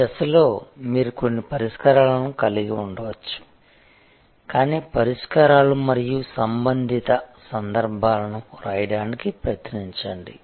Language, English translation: Telugu, At this stage, you can have some number of solutions, but try to write the solutions and the corresponding contexts